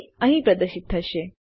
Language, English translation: Gujarati, It will be displayed here